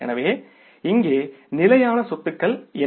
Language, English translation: Tamil, So, what are the fixed assets here